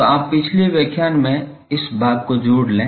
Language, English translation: Hindi, So, this I you please add this portion to the previous lecture